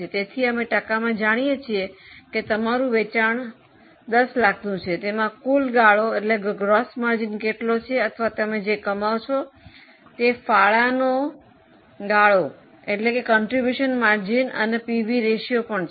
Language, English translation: Gujarati, So, we know as a percentage, suppose you have a sale of 10 lakhs, what is a gross margin or what is a contribution margin you are earning, that is the PV ratio